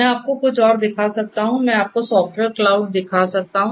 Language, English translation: Hindi, We can I can show you something else, I can show you the software cloud